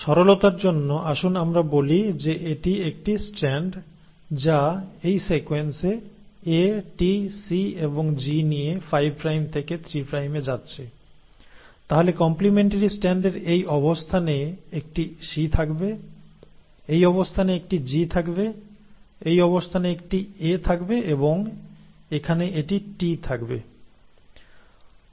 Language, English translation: Bengali, So let us, for simplicity sake, let us say this is one strand which is going 5 prime to 3 prime with this sequence, A, T, C and G, then the complementary strand at this position will have a C, at this position will have a G, at this position will have an A and here it will have a T